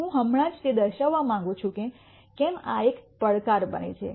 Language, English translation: Gujarati, I just also want to point out why this becomes a challenge